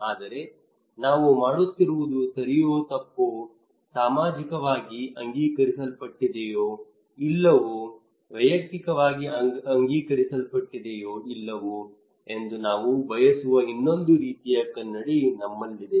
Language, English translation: Kannada, But we have another kind of mirror that we want to that what we are doing is right or wrong, socially accepted or not, individually accepted or not